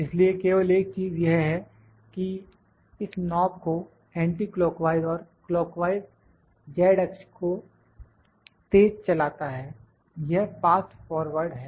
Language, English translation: Hindi, So, only the thing is that rotation of this rotation of this knob anticlockwise and clockwise makes it to move makes the z axis this is fast forward